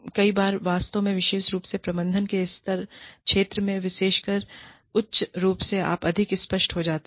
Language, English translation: Hindi, Many times, actually, especially in the management field, especially, the higher, you go, the more vague, you become